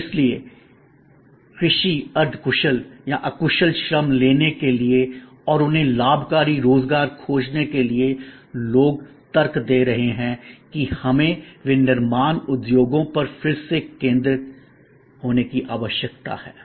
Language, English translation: Hindi, And therefore, to take agricultural semi skilled or unskilled labour and find them gainful employment, people are arguing that we need refocus on manufacturing industries